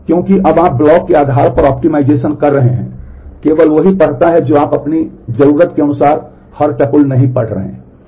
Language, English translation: Hindi, Because you are now optimizing based on the block reads only you are not reading every tuple every time you need